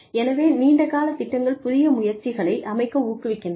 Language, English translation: Tamil, So, long term plans encourage, the setting up of new ventures